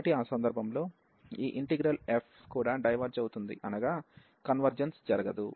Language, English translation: Telugu, So, in that case this integral f will also diverge